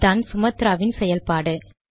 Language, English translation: Tamil, So that is the key thing about Sumatra